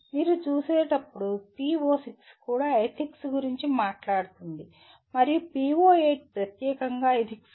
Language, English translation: Telugu, As you see the PO6 also talks about Ethics and PO8 is exclusively on Ethics